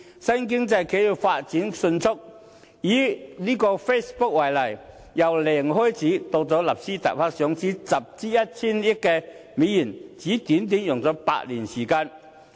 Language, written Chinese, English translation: Cantonese, 新經濟企業發展迅速，以 Facebook 為例，由零開始到在納斯達克上市集資 1,000 億美元，只是用了短短8年時間。, Enterprises of the new economy have been developing rapidly and in the case of Facebook for example it started all from scratch but has managed to raise US100 billion through listing on Nasdaq over a short span of only eight years